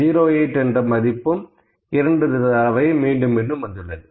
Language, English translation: Tamil, 08 is also 2 times